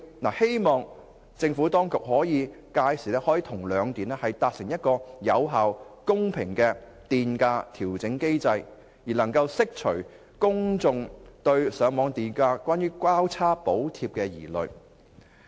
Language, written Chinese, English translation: Cantonese, 我希望政府當局屆時可與兩電達成有效及公平的電費調整機制，以釋除公眾對上網電價出現"交叉補貼"的疑慮。, I hope the Government can reach an agreement with the two power companies on an effective and fair tariff adjustment mechanism to allay public concern about cross - subsidy on feed - in tariff rate